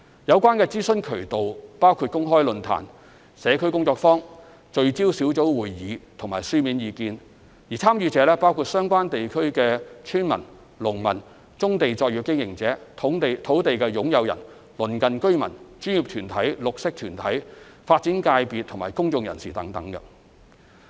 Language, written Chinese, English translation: Cantonese, 有關諮詢渠道包括公開論壇、社區工作坊、聚焦小組會議和書面意見，參與者包括相關地區的村民及農民、棕地作業經營者、土地擁有人、鄰近居民、專業團體、綠色團體、發展界別及公眾人士等。, The relevant channels of consultation include public forums community workshops focus group discussions and written submissions and the participants include villagers and farmers of the areas concerned brownfield operators landowners nearby residents professional organizations green groups the development sector and members of the public